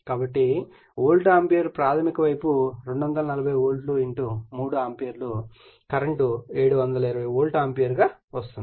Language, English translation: Telugu, So, if you see the volt ampere primary sidE240 volt * 3 ampere current so, 720 volt ampere right